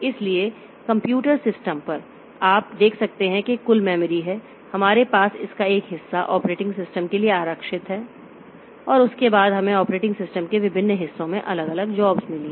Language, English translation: Hindi, So, on the computer system, so you can see if this is the total memory that we have, a part of it is reserved for the operating system and after that we have got different jobs at different parts of the operating system